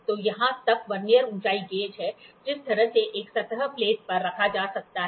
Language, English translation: Hindi, So, here is a Vernier height gauge, this Vernier height gauge by the way can be put on a surface plate